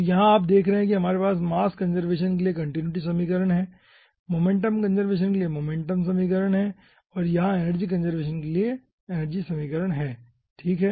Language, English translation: Hindi, so here you see, we are having continuity equation for mass conservation, momentum equation for your ah, ah, momentum conservation and, over here, energy equation for conservation of energy